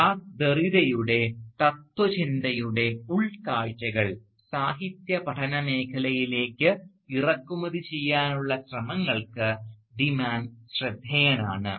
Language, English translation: Malayalam, And De Mann is noted for, among other things, his efforts to import the insights of Jacques Derrida’s philosophy of deconstruction into the field of literary studies